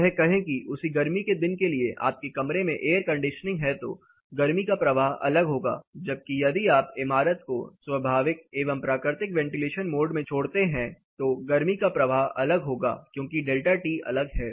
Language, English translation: Hindi, Say if your air condition in your room for the same summer day the heat transfer is going different, whereas if you leave the building in a free running mode are unconditioned or naturally ventilated mode then the heat transfer is going to be different, because the delta T is different